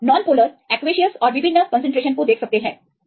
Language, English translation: Hindi, So, you can see this non polar to aqueous and the different concentration